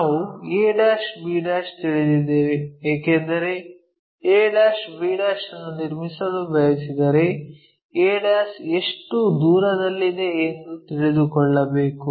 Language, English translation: Kannada, And, we know the because if we want to construct a' b' we need to know how far this a' is located